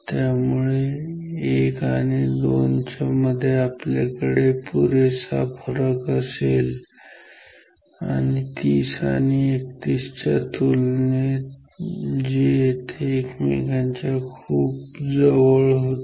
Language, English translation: Marathi, So, we will have a sufficient gap between 1 and 2, compared to say 30 and 31 which have very close to each other